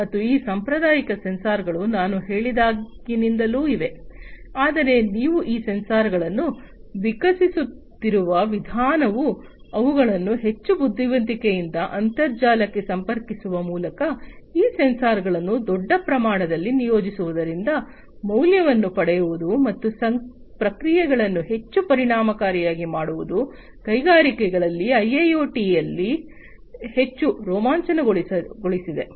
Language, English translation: Kannada, But the way you are evolving these sensors making them much more intelligent connecting them to the internet getting value out of the deployment of these sensors in a big scale and making processes much more efficient, in the industries, is what has made IIoT much more exciting